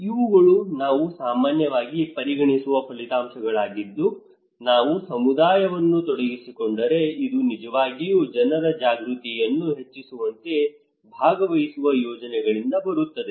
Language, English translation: Kannada, These are outcomes that we often consider that comes from participatory projects like if we involve community that will actually increase peoples awareness